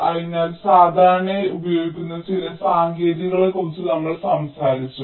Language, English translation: Malayalam, so we have talked about some of this techniques which have quite commonly used